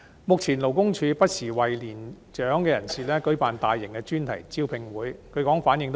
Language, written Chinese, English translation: Cantonese, 目前，勞工處不時為年長人士舉辦大型專題招聘會，據說反應不俗。, Currently the Labour Department organizes from time to time large - scale thematic job fairs for elderly persons which are reportedly well - received